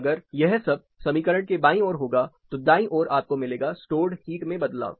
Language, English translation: Hindi, Then if you have this on the left hand side and the right, you will have the change in stored heat